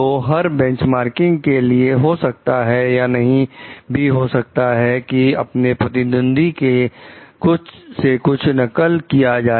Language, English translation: Hindi, So, each benchmarking may or may not involve copying anything from the competitor